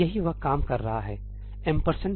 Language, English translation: Hindi, That is what this is doing ëampersand tsumí